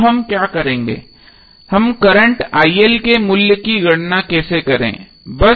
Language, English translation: Hindi, Now what we will, how we will calculate the value of current IL